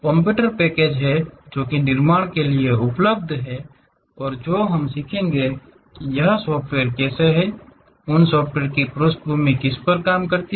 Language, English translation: Hindi, There are computer packages which are available to construct that and what we will learn is how these softwares, the background of those softwares really works